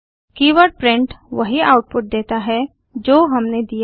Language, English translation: Hindi, The keyword print outputs only what we have provided